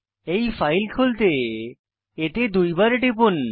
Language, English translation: Bengali, Let me open this file by double clicking on it